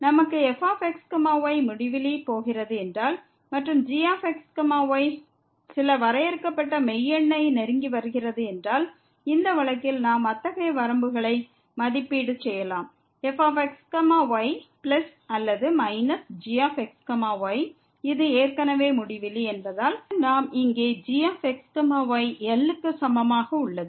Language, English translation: Tamil, If we have as is going to infinity and is approaching to some finite real number, in this case we can evaluate such limits plus or minus , since this is infinity already and then we have here is equal to